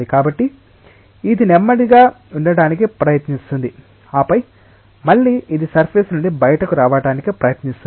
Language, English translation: Telugu, So, it will try to have it slow down and then again, it will try to be get getting ejected from the surface